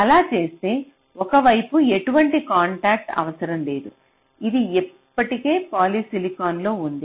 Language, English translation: Telugu, if you do that, so on one side you do not need any contact, it is already in polysilicon